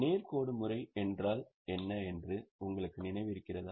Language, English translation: Tamil, Do you remember what is straight line method